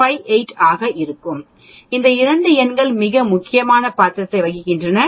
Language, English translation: Tamil, 58, these 2 numbers play very important role